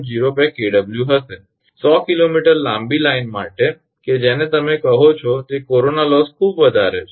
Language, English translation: Gujarati, For 100 kilometre long line that your what you call that corona loss is quite high